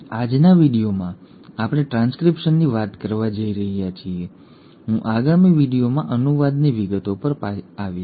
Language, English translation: Gujarati, Now in today’s video we are going to talk about transcription, I will come to details of translation in the next video